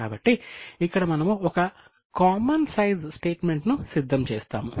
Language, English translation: Telugu, So, here we prepare a common size statement